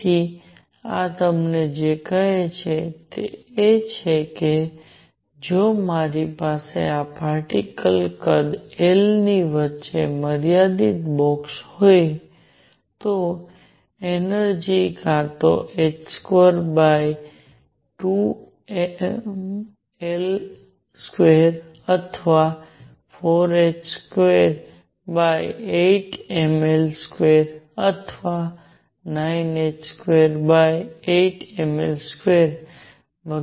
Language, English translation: Gujarati, So, what this tells you is that if I have this particle in a box confined between of size L, the energy is equal to either h square over 8 m L square or 4 h square over 8 m L square or 9 h square over eight m L square and so on